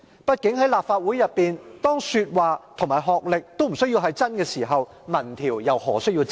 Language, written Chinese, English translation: Cantonese, 畢竟在立法會內，當說話和學歷均無須是真實時，民意調查又何須真實？, After all when what Members say in this Council and their academic qualifications do not have to be true why do the findings of an opinion survey have to be true?